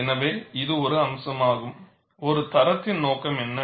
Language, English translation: Tamil, So, this is one aspect of, what is the purpose of a standard